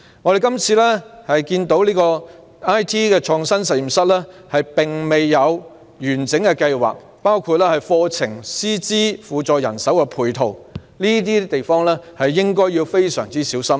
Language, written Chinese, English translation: Cantonese, 我們看到"中學 IT 創新實驗室"未有完整計劃，包括課程、師資和輔助人手的配套，在這些方面均應非常小心。, We notice that there is no comprehensive planning under the IT Innovation Lab in Secondary Schools Programme . For example there is a lack of complementary courses teaching and support staff